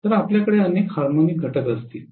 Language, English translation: Marathi, So you will have multiple harmonic components